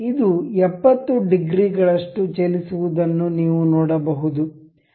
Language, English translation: Kannada, If we say this is 70, you can see this moving by 70 degrees